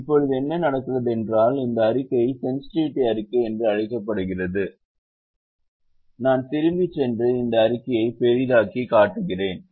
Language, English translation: Tamil, now what also happens is we have this report called sensitivity report and if i go back and zoom this report and make it bigger now, it shows a few things